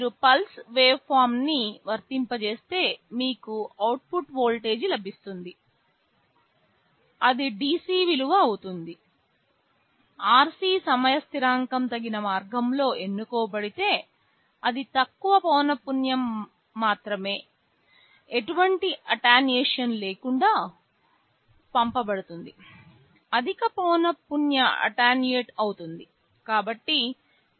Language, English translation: Telugu, If you apply a pulse waveform, you will be getting an output voltage which will be the DC value; provided the RC time constant is chosen in a suitable way such that only the lowest frequency of components will be passed without any attenuation, the higher frequency will get attenuated